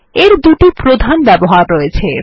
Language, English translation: Bengali, It has two major uses